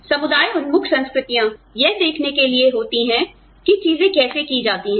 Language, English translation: Hindi, Community oriented cultures, tend to look at, how things are done